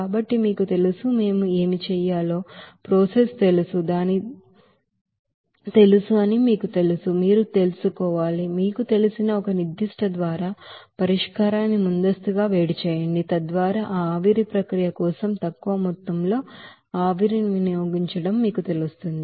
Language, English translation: Telugu, So to you know, economize that you know process what we have to do, you have to you know, on that you know preheat the solution by a certain you know heat exchange equipment, so that you will you know that utilizing less amount of steam for that evaporation process